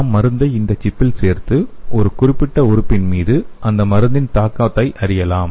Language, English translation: Tamil, We can add the drug into the chip and we can study the effect of the drug on the particular organ